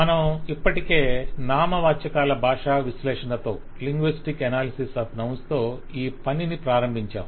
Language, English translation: Telugu, We have already started this activity with the linguistic analysis of nouns